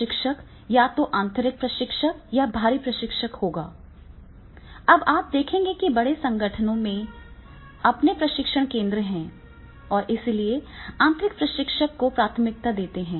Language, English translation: Hindi, Trainers, whether from inside or outside the company, now you see the many big, large enterprises they are having their own training centers and therefore they prefer the in house training